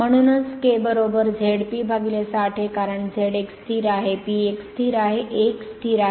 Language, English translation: Marathi, Therefore k is equal to Z P upon 60 A, because Z is a constant, P is a constant, A is a constant